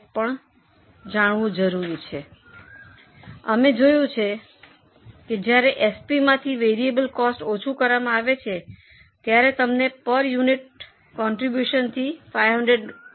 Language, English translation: Gujarati, So, we have seen that variable cost to be deducted from SP, you will get contribution per unit of 500